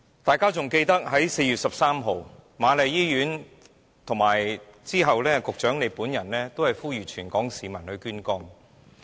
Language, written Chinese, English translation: Cantonese, 大家還記得在4月13日，瑪麗醫院和及後局長本人也呼籲全港市民捐肝。, Members should remember that on 13 April the Queen Mary Hospital and the Secretary were urging Hong Kong people to donate their livers